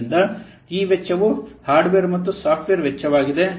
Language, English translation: Kannada, So those costs, this is the hardware and software cost